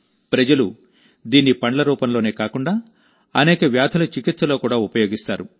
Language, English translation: Telugu, People consume it not only in the form of fruit, but it is also used in the treatment of many diseases